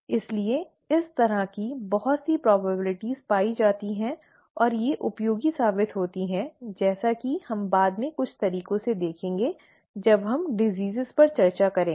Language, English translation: Hindi, So we, a lot of probabilities this way are found and they turn out to be useful as we will see in some ways later on when we discuss diseases